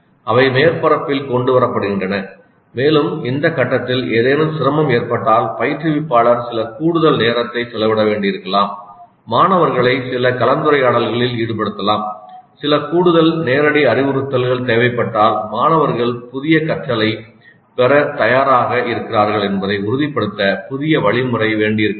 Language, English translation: Tamil, They are brought to the surface and in case there is some difficulty with this phase instructor may have to spend some additional time engaging the students in some discussion if required certain additional direct instruction to ensure that the students are prepared to receive the new instruction